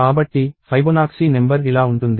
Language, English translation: Telugu, So, Fibonacci number goes like this